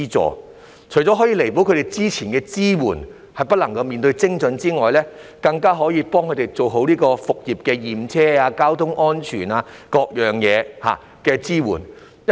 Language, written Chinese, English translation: Cantonese, 這除了可以彌補政府之前的支援不夠精準的問題之外，更可以幫助業界做好復業前的驗車、交通安全等各方面的支援工作。, This will not only make up for the lack of precision in the Governments previous support but also assistance for the sector to properly undertake tasks ancillary to resumption of business such as vehicle inspection and traffic safety